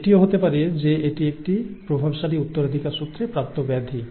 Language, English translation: Bengali, It so happens that a disorder could be a dominantly inherited disorder too